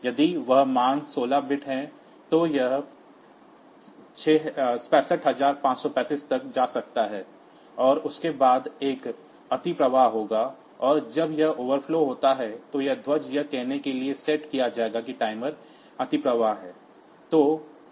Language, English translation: Hindi, So, it can go up to 65535, and after that there will be an overflow, and the when that underflow occurs then this flag will be set to say that the timer has overflown